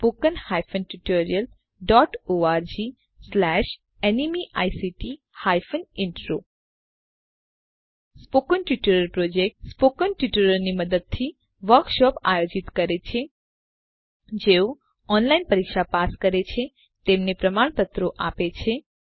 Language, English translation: Gujarati, The Spoken Tutorial Project conducts workshops using spoken tutorials also gives certificates to those who pass an online test